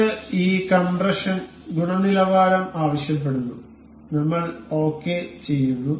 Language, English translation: Malayalam, This asks for this compression quality, we will ok